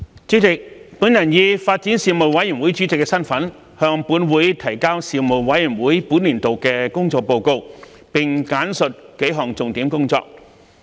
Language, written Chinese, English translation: Cantonese, 主席，我以發展事務委員會主席的身份，向本會提交事務委員會本年度的工作報告，並簡述幾項重點工作。, President in my capacity as Chairman of the Panel on Development the Panel I submit to this Council the work report of the Panel for this session and briefly highlight its work in several key areas